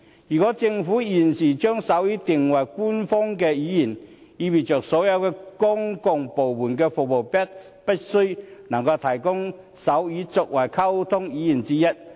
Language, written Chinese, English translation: Cantonese, 如果政府現時將手語定為官方語言，即意味所有公共部門的服務必須能夠提供手語作為溝通語言之一。, If the Government is to make sign language an official language now it implies that all services rendered by the public sector have to provide sign language as a means of communication